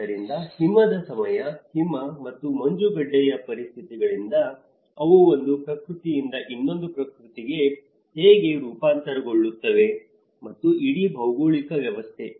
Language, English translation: Kannada, So, you know from the snow time, snow and ice conditions, how they transform from one nature to the another nature and the whole geographical setting